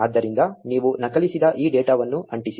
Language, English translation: Kannada, So, just paste this data that you copied